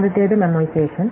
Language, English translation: Malayalam, So, it is called memoization